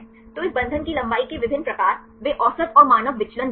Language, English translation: Hindi, So, different types of this bond length, they give the average and the standard deviation